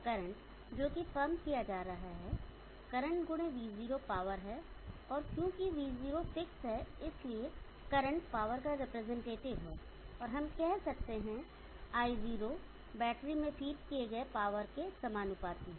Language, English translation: Hindi, The current that is being pumped in, the current into the V0 is the power and as V0 is fixed current is representative of the power, and we can say I0 is proportional to power, being fed into the battery